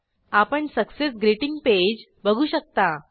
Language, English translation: Marathi, We can see a Success Greeting Page